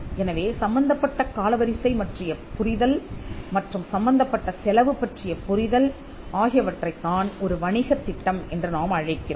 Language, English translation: Tamil, So, an understanding of the timeline involved, and the cost involved is something what we call a business plan